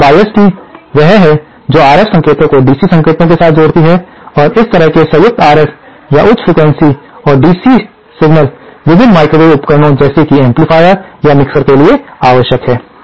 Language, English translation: Hindi, Now, a biased tee is one which combines DC signal with RF signal and this kind of combined RF and or high frequency and DC signal is necessary for various microwave devices like amplifiers or Mixers